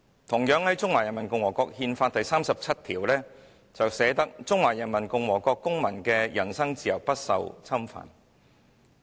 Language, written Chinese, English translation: Cantonese, "同樣，《中華人民共和國憲法》第三十七條："中華人民共和國公民的人身自由不受侵犯。, Similarly Article 37 of the Constitution of the Peoples Republic of China reads The freedom of person of citizens of the Peoples Republic of China is inviolable